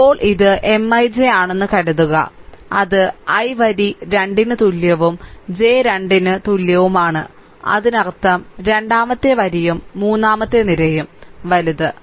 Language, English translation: Malayalam, Now suppose it is M I j, right so, it is I th row say i is equal to 2 and j is equal to 3; that means, second row and third column, right